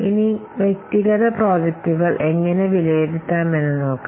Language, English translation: Malayalam, Now, let's see how to evaluate the individual projects